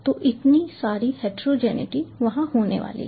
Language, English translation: Hindi, so so much of heterogeneity is going to be there all across